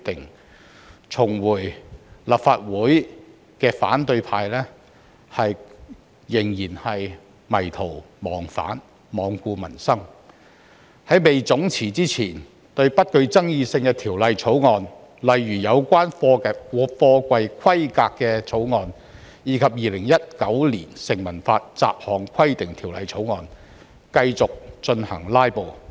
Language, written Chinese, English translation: Cantonese, 然而，重返立法會的反對派仍迷途忘返，罔顧民生，在總辭前對不具爭議性的法案，例如有關貨櫃規格的法案及《2019年成文法條例草案》，繼續進行"拉布"。, Nevertheless Members from the opposition camp who could be back to the legislature continued to go astray and be regardless of peoples livelihood . Before their collective resignation they continued to filibuster on some non - controversial bills such as the bill about container specifications and the Statute Law Bill 2019